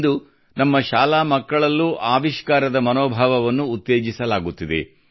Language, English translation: Kannada, Today the spirit of innovation is being promoted among our school children as well